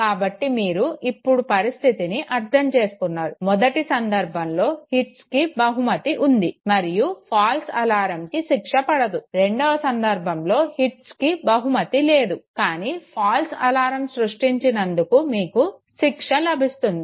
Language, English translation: Telugu, So you understand the situation now, case one when hits are rewarded and false alarms are not punished, in second case when hits are not rewarded but then for creating a false alarm you receive a punishment okay